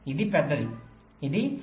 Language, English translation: Telugu, this is larger